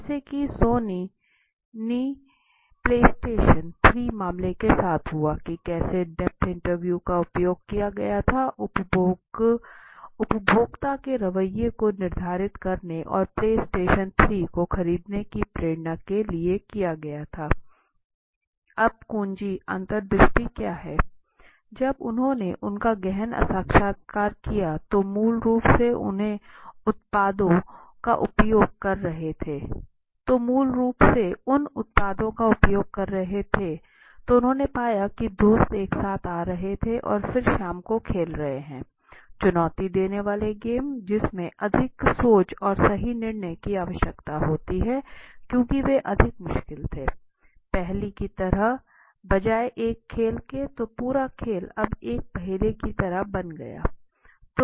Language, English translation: Hindi, So as I was let me explain you with the Sony play station 3 case right how depth interview was used to determine the consumer attitude and purchasing motivation towards the play station 3 right so now what are the keys insights so when they did depth interview of those people who are basically using those products they found at friends are coming together and spending evenings to play against each other right challenging games required more critical thinking and decision making right because they were more difficult to do so it seems more like a puzzle rather than a game so the whole game now became more like a puzzle right